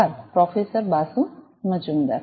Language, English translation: Gujarati, Thank you, Professor Basu Majumder